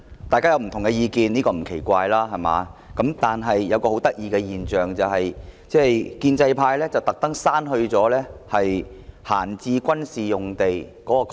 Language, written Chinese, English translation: Cantonese, 大家有不同意見，這並不奇怪，但一個很有趣的現象是，建制派故意把"閒置軍事用地"刪去。, It is not surprising that we have divergent views but it is an interesting phenomenon that the pro - establishment camp has deliberately deleted the words idle military sites